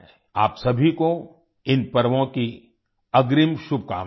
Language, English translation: Hindi, Advance greetings to all of you on the occasion of these festivals